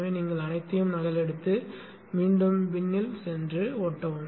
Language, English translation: Tamil, So you just copy all of them and go back there into the bin and paste